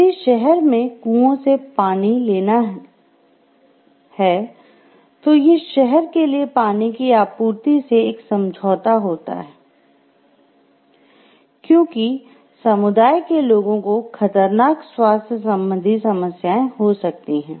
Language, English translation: Hindi, If the city takes it is water from wells the water supply for the city will be compromised, and significant health problems for the community may result